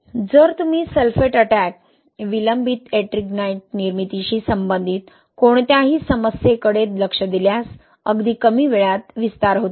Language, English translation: Marathi, If you look into any problem related to sulphate attack, delayed Ettringite formation, even in this case when you have early age expansion